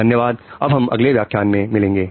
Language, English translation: Hindi, Thank you and see you in the next lecture